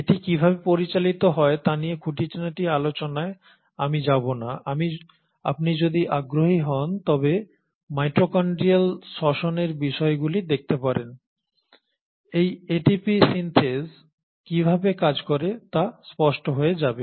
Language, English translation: Bengali, I will not get into the machinery as to how it functions; if you are interested you can always look at topics of mitochondrial respiration, it will become evident how this ATP Synthase work